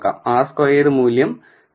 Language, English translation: Malayalam, The r squared value is 0